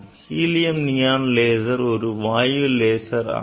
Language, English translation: Tamil, 8 nanometer helium neon laser